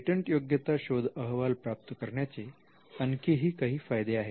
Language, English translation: Marathi, Now there is also another advantage in generating a patentability search report